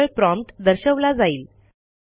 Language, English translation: Marathi, Only the prompt will be printed